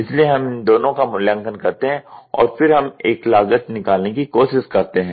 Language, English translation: Hindi, So, we evaluate these two and then we try to take a cost